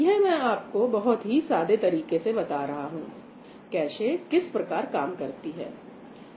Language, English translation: Hindi, I am giving a very simplistic view of what a cache does, right